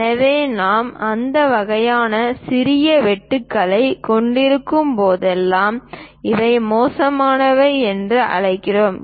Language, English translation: Tamil, So, whenever we have that kind of small cuts, we call these are chamfering